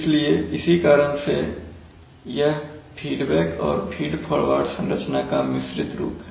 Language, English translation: Hindi, So that is why it is a mixed feedback feed forward structure